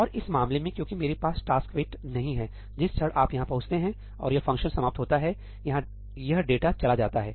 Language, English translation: Hindi, And in this case because I do not have a ‘taskwait’, the moment you reach here and this function ends, this data is gone